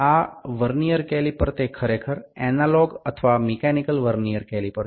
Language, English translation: Bengali, This Vernier caliper is actually the analog or mechanical Vernier caliper